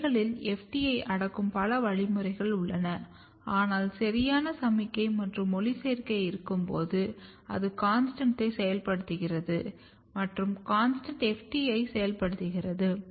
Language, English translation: Tamil, So, you can in leaves there are multiple mechanism which are repressing FT, but when there is a photoperiod or right signal and photoperiod is basically activating CONSTANT and CONSTANT is activating FT